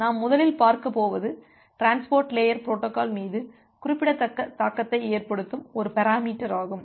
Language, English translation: Tamil, So, the first things that we are going look into in details is a parameter which has significant impact over the transport layer protocol